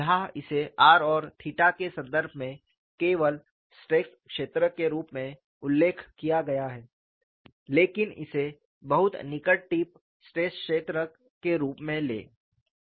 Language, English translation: Hindi, It is just mentioned as stress field in terms of r and theta, but take it as very near tip stress field